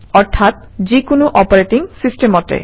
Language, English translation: Assamese, That is, on any Operating System